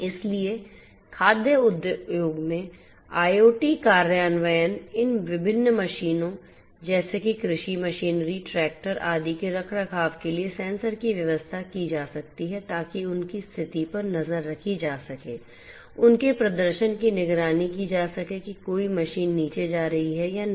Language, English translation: Hindi, So, in the food industry IoT implementations can be done for maintenance embedding sensors to these different machines such as farm machinery, tractors, etcetera, etcetera to monitor their condition, to monitor their performance, to detect whether any machine is going to go down in the future